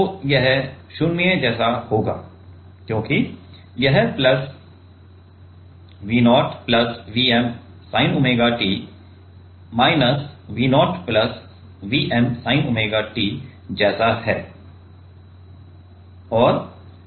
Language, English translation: Hindi, So, here also it will be same V plus right